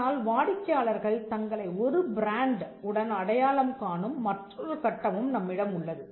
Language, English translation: Tamil, But we also have another stage where, customers identify themselves with a brand